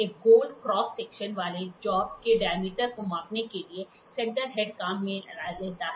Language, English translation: Hindi, The centre head combines in handy for measuring diameter of the job having a circular cross section